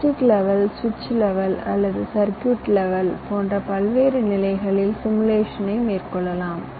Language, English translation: Tamil, simulation can be carried out at various levels, like logic levels, switch level or circuit level